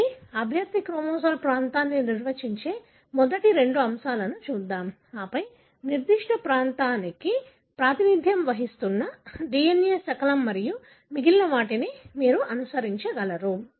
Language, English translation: Telugu, So, let us look into the first two topics that is define the candidate chromosomal region and then up time the DNA fragment representing that particular region and then the rest of them you would be able to follow